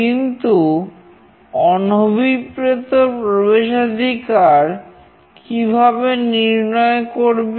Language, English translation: Bengali, How is unauthorized access detected